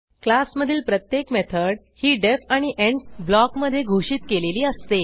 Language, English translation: Marathi, Each method in a class is defined within the def and end block